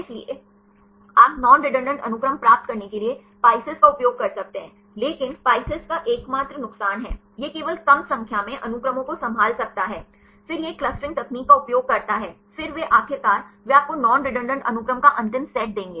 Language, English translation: Hindi, So, you can use a PISCES to get the non redundant sequences, but the only disadvantage of PISCES is; it can handle only less number of sequences then it uses a clustering technique, then they will finally, they give you the final set of non redundant sequences